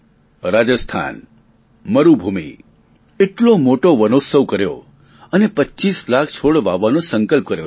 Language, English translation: Gujarati, Rajasthan, desert area, has celebrated Van Mahotsav in a very big way and pledged to plant 25 lakhs trees